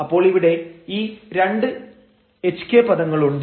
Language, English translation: Malayalam, We get this 2 hk and s term